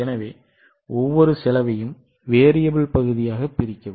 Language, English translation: Tamil, So, each cost, please divide into variable portion, fixed portion